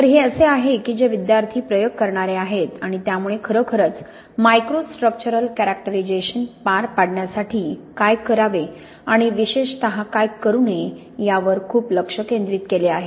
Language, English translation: Marathi, So this is, students who are the people doing the experiments and so really it is very much focused on what to do and particularly what not to do in carrying out microstructural characterisation